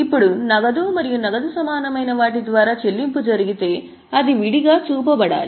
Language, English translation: Telugu, Now if the payment is made by means of cash and cash equivalent that should be separately shown